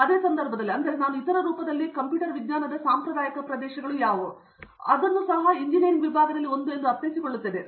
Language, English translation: Kannada, In the same context, I mean of course, even in traditional areas of computer science like in other form I mean disciplines in engineering